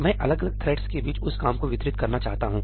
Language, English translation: Hindi, I want to distribute that work amongst different threads